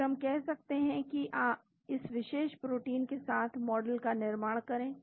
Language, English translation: Hindi, Then we can say build models with this particular protein